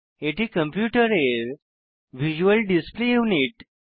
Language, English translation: Bengali, It is the visual display unit of a computer